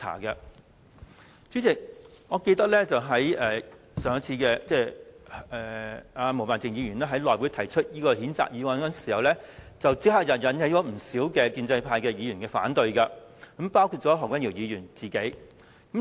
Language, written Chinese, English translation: Cantonese, 代理主席，我記得毛孟靜議員上次在內務委員會上提出這項譴責議案時，立刻引起不少建制派議員的反對，包括何君堯議員本人。, Deputy President I still recall that when this censure motion was proposed last time by Ms Claudia MO at the meeting of the House Committee it was met with opposition from quite a large number of pro - establishment Members including Dr Junius HO himself